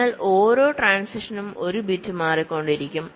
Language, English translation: Malayalam, so for every transition one bit is changing